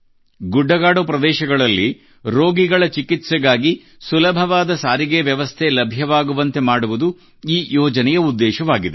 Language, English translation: Kannada, The purpose of this project is to provide easy transport for the treatment of patients in hilly areas